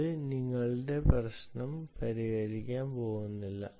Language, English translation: Malayalam, that is not going to solve your problem